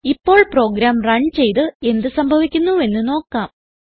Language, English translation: Malayalam, So let us run the program and see what happens